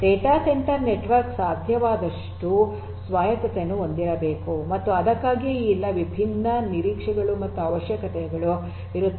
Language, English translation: Kannada, A data centre network should be as much autonomous as possible and that is why all these different expectations and requirements are coming up